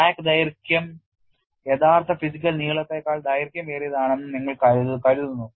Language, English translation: Malayalam, You consider the crack length is longer than the actual physical length